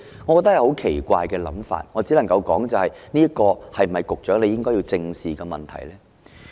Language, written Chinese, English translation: Cantonese, 我覺得這是很奇怪的想法，我只能夠說的是，這是否局長應該正視的問題呢？, This thought strikes me as very weird . Apart from anything else is this a problem that the Secretary should squarely face?